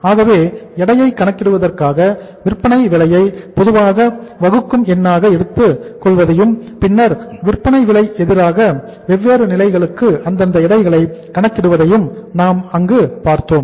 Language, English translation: Tamil, So we have seen there that for calculating the weights we take the selling price as the common denominator and then against the selling price we calculate the respective weights for the different stages